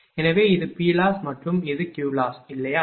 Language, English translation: Tamil, So, this is P loss and this is Q loss, right